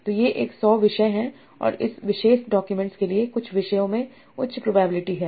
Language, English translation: Hindi, So these are 100 topics and for this particular document some topics have a high probability